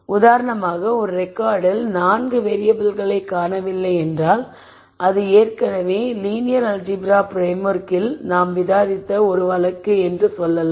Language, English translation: Tamil, If for example, there are 4 variables that are missing in a record then that is one case that we have discussed already in the linear algebra framework